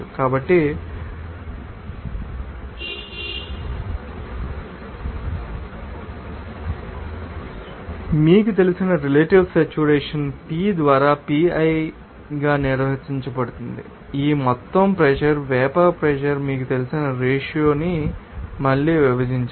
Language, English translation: Telugu, So, relative saturation to be you know; defined as Pi by P divided by again the ratio of that you know vapor pressure to that total pressure